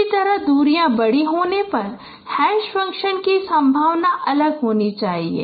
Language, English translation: Hindi, Similarly probability of hash function should be different when the distances are large